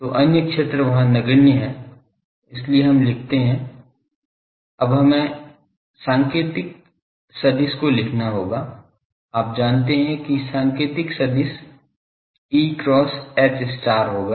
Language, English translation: Hindi, So, other fields are negligible there so, we write that now we will have to take the Pointing vector, Pointing vector you know E cross H star